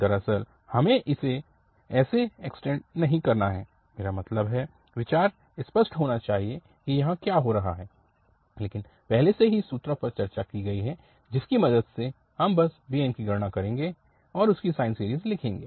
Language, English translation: Hindi, Indeed, we do not have to extend it, I mean we, but the idea should be clear that what is happening here but with the help of already discussed this formulas, we will just calculate bn and write down its a sine series